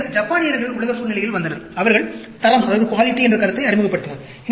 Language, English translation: Tamil, Then, Japanese came into the world scenario, who introduced the concept of quality